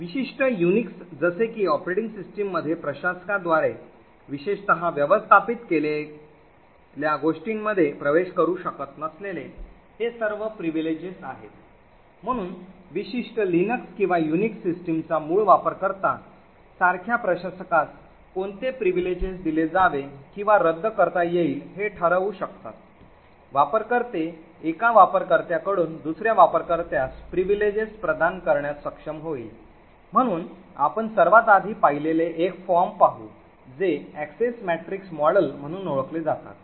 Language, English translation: Marathi, So in a typical UNIX like operating system all of this privileges of who cannot access what is typically managed by the administrator, so the administrator such as the root user of the particular Linux or UNIX system can decide what privileges can be granted or revoked, users would be able to pass on privileges from one user to another, so we will look at one of the earliest forms which is known as the Access Matrix model